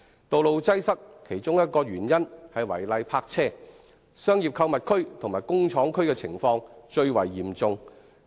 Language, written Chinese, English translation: Cantonese, 道路擠塞的其中一個原因是違例泊車，商業購物區和工廠區的情況尤為嚴重。, Illegal parking being a cause of traffic congestion is particularly serious in our commercial and shopping areas and industrial areas